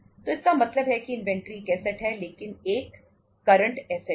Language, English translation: Hindi, So it means inventory is a asset but a current asset